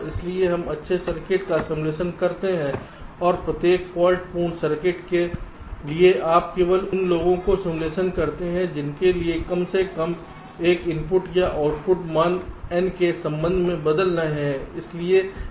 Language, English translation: Hindi, so we simulate the good circuit and for every faulty circuit you simulate only those for which at least one of the input or output values are changing with respect to n